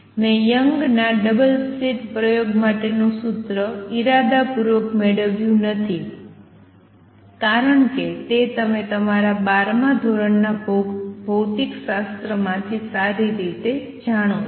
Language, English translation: Gujarati, I have deliberately not derive the formula for Young’s double slit experiment, because that you know well from your twelfth grade physics